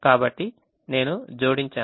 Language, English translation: Telugu, so i add